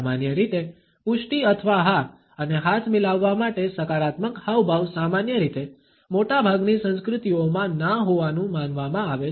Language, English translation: Gujarati, Normally, a positive gesture to signify an affirmation or yes and a shake of a hand is normally considered to be a no in most cultures right